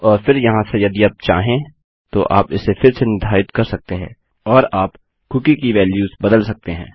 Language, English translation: Hindi, And then from here you can set it again if you like and you can change the values of the cookie